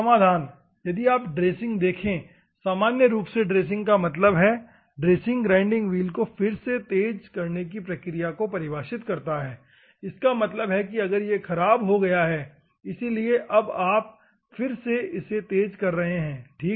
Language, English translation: Hindi, Solutions: if you see the dressing normally dressing means dressing defines a process of re sharpening of the grinding wheel; that means, that if it is gone, bad now you are doing the re sharpening, ok